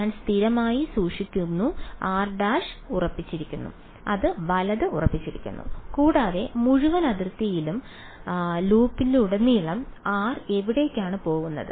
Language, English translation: Malayalam, I am keeping fixed r prime is fixed right and where is or going over the looping over the entire boundary